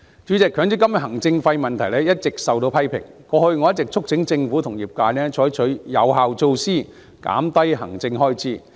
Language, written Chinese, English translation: Cantonese, 主席，強積金行政費問題一直受到批評，過去我一直促請政府和業界採取有效措施，減低行政開支。, President the administration fees of MPF have long been a cause of criticism . In the past I have been urging the Government and the trade to take effective measures to reduce administrative expenses